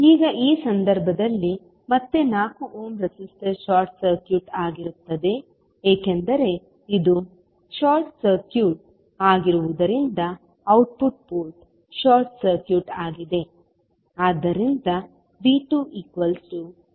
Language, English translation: Kannada, Now, in this case again the 4 ohm resistor will be short circuited because this will be short circuited because of the output port is short circuit